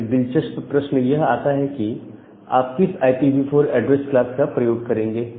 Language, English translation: Hindi, Now, the question comes that which IPv4 address class you should use